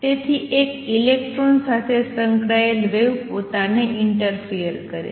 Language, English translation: Gujarati, So, the wave associated with a single electron interferes with itself